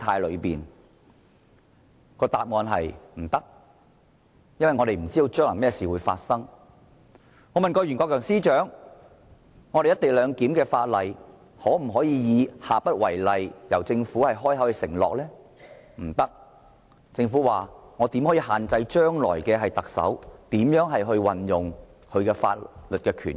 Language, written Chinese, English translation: Cantonese, 我曾經問前任律政司司長袁國強，政府可否親口承諾有關"一地兩檢"的法例的做法將下不為例，但政府說不可以，因為我們不能限制將來的特首如何運用他的法律權益。, I once asked former Secretary for Justice Rimsky YUEN if the Government could promise that the approach adopted for the Bill pertaining to the co - location arrangement would not be adopted again but the Government replied in the negative as it could not restrain how the future Chief Executive exercised his legal rights and interests